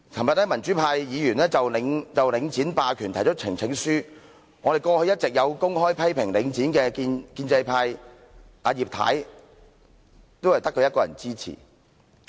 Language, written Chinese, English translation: Cantonese, 昨天民主派議員就領展霸權提交呈請書，過去一直有公開批評領展的建制派，只有葉太一人支持。, Yesterday democratic Members presented a petition concerning the Link hegemony . Only Mrs IP among those pro - establishment Members who had all along publicly criticized the Link REIT rendered her support